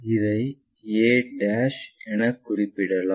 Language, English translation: Tamil, So, let us call this' as a'